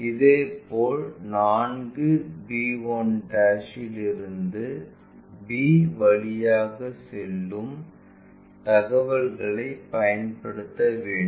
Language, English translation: Tamil, Similarly, whatever 4 b 1' this distance that has to pass from b information